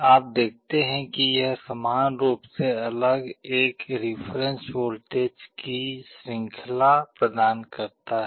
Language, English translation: Hindi, You see it provides a range of a reference voltages equally separated